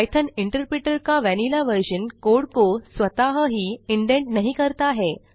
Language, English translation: Hindi, The vanilla version of Python interpreter does not indent the code automatically